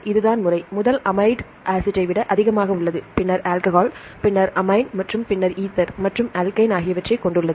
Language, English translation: Tamil, this is the order, the first amide has more than acidic acid, and then alcohol, then amine and then ether and alkane